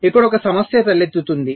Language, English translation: Telugu, so there is one issue that arises here